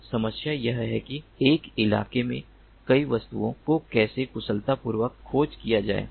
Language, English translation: Hindi, so the problem is that how to efficiently, efficiently, how to track multiple objects in a terrain